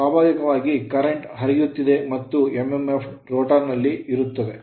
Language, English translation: Kannada, So, naturally if the current will flow therefore, mmf will be there in the rotor right